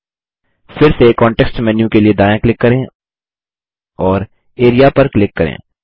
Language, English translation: Hindi, Again, right click for the context menu and click Area